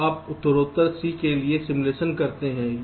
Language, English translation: Hindi, now you progressively carry out simulation for the c